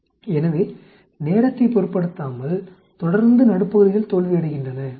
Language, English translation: Tamil, So irrespective of time, a constantly, mid parts fail actually